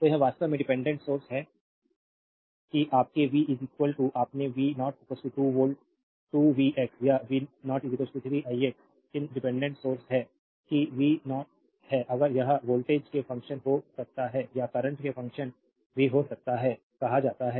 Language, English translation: Hindi, So, this is actually dependent source that your v is equal to you r v 0 is equal to 2 v x or v 0 is equal to 3 i x these are called dependent source that is v 0 in case it may be function of voltage or may be function of current also right